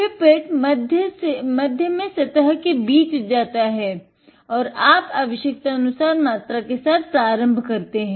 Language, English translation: Hindi, The pipette goes in the middle just below the surface and you start up the amount that you need